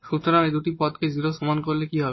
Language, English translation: Bengali, So, by setting these two terms equal to 0 what will happen now